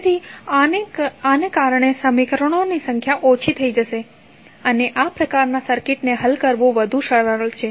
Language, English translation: Gujarati, So, because of this the number of equations would be reduced and it is much easier to solve this kind of circuit